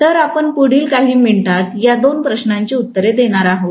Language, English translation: Marathi, So, these are the two questions that we are going to answer in the next few minutes, okay